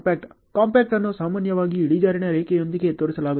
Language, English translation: Kannada, Compact is generally shown with the incline line ok